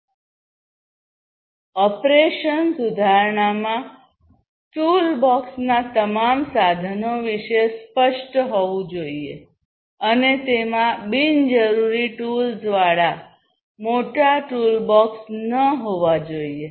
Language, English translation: Gujarati, Operation improvement is vital company should have clear knowledge about all tools of the toolbox, and should not have massive toolbox with unnecessary tools